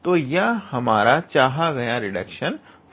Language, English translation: Hindi, So, this is our required reduction formula all right